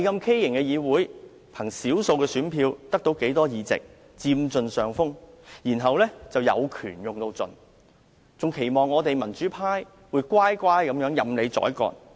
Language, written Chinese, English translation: Cantonese, 他們憑少數選票取得多數議席，佔盡上風，更有權用盡，而且期望我們民主派會乖乖地任人宰割。, They have got a majority of seats with a minority of votes . As they have gained an upper hand they exercise their rights to the fullest and even expect us the pro - democracy camp to give up without a fight